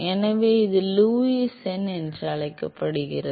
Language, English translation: Tamil, So, that is called Lewis number